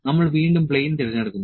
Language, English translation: Malayalam, So, we select the plane again